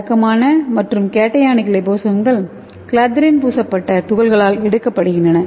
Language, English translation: Tamil, So these are the conventional and cationic liposomes so that will be taken by the clathrin coated particles